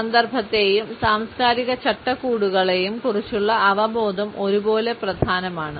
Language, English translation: Malayalam, Awareness about context and cultural frameworks is equally important